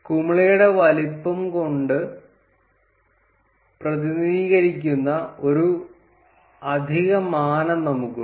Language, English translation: Malayalam, And we have an additional dimension which is represented by the size of the bubble